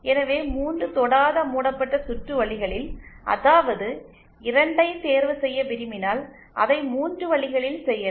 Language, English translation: Tamil, So, 3 non touching loops, if they want to choose any 2 of those 3, we can do that in 3 ways